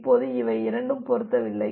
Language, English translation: Tamil, Now, these two are not matching